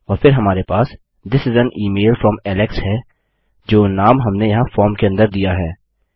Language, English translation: Hindi, And then we have This is an email from Alex which is the name we gave inside the form here